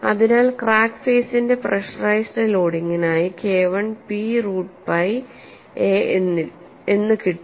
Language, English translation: Malayalam, So for the pressurized loading of crack faces K 1 is P root pi a